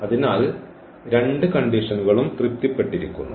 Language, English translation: Malayalam, So, both the conditions are satisfied